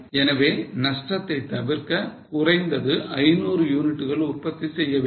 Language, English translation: Tamil, So, minimum 500 units must be produced to avoid losses